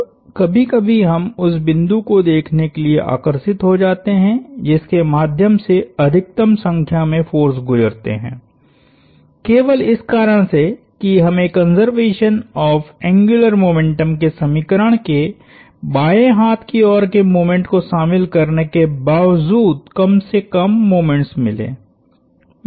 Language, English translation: Hindi, Now, sometimes we get tempted to look at the point at which, a through which the maximum number of forces pass through, just so we get the least number of moments to including the moment in the left hand side of the conservation of angular momentum equation